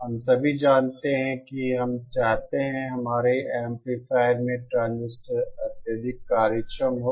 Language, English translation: Hindi, We all know that we want transistor in our amplifier to be highly efficient